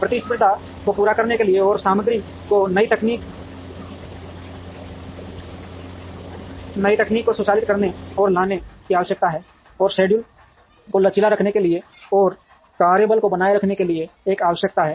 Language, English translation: Hindi, There is also a need to automate and bringing new technology in materials, to meet competition, and there is a requirement to keep the schedules flexible, and to keep the work force contended